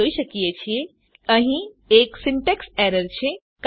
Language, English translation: Gujarati, we see that, there is a syntax error